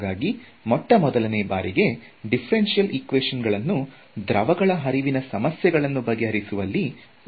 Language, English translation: Kannada, So, they needed the theory of differential equations for it and so the theory of differential equations came about first for fluid flow problems